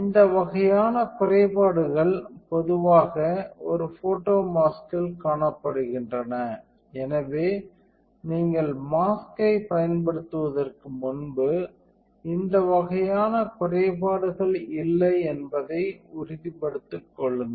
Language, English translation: Tamil, So, all this kind of defects are generally observed in a photo mask, so before you use a mask make sure that this kind of defects are not there